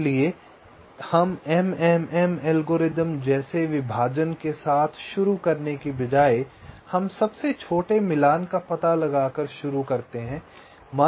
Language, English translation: Hindi, so instead of starting with a partitioning like the m m m algorithm, we start by finding out the smallest matching